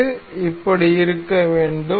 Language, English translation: Tamil, This is supposed to be like this